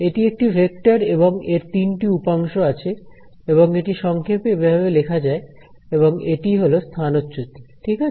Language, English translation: Bengali, So, it is a vector and so, it has three components over here and this is the shorthand notation for it this over here is the displacement right